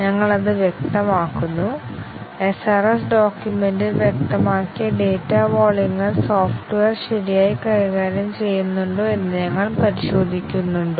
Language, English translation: Malayalam, We specify that; we test whether the data volumes as specified in the SRS document are they handled properly by the software